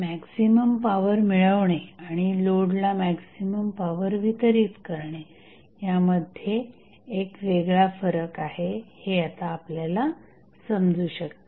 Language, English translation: Marathi, So, you can now understand that there is a distinct difference between drawing maximum power and delivering maximum power to the load